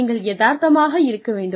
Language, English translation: Tamil, One has to be realistic